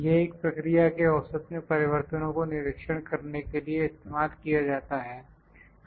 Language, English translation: Hindi, It is used to monitor the changes in the mean of a process